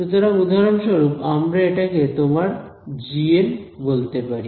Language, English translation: Bengali, So for example, we can call this is your g n